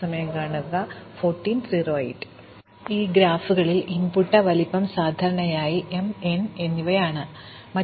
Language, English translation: Malayalam, Now, in graphs the input size is typically taken to the m and n